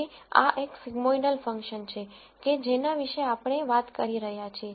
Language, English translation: Gujarati, So, this is a sigmoidal function that we have been talking about